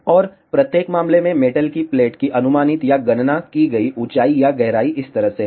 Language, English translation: Hindi, And, the estimated or calculated height or depth of the metal plate in each case is like this